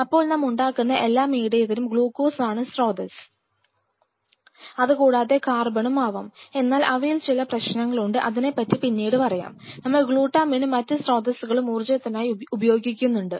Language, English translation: Malayalam, So, every medium what we develop will have glucose as one of the major sources of energy and more over carbon, but that comes with some set of problems which will be coming later we use glutamine and other sources there are reason and rhyme